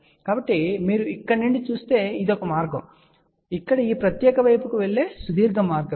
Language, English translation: Telugu, So, if you look from here this is the one path, and this is the longer path over here going to this particular side here